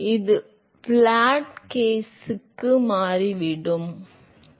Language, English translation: Tamil, So, it turns out for flat plate case, it is a same